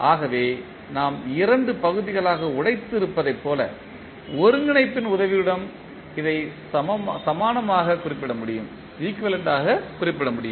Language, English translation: Tamil, So, this can be equivalently represented with the help of the integration which we have broken into two parts